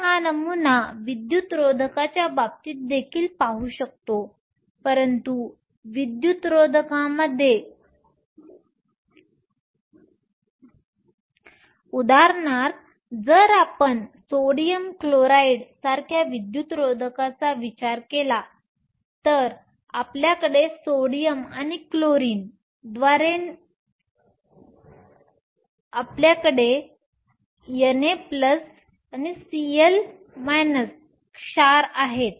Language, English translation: Marathi, We can extend this model in the case of insulator as well, but in insulators for example, if you think of an insulator like sodium chloride, you have bonds being formed not by sodium and chlorine, but you have Na plus Cl minus ions